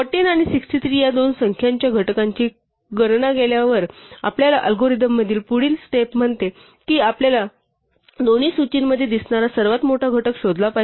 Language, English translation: Marathi, Having computed the factors of the two numbers 14 and 63 the next step in our algorithm says that we must find the largest factor that appears in both list